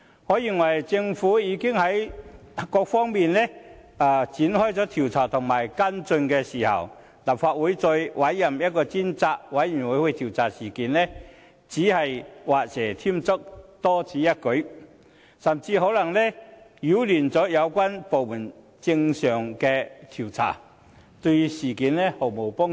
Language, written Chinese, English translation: Cantonese, 我認為在政府已在各方面展開調查和跟進之際，立法會再委任一個專責委員會調查事件只是畫蛇添足，多此一舉，甚至可能擾亂有關部門的正常調查，對事件毫無幫助。, Now that the Government is having inquiries and follow - up actions on various fronts I believe it is just superfluous for the Legislative Council to appoint another select committee to inquire into the incident . Such a move will not be helpful at all and it may even disturb the inquiries conducted normally by relevant government departments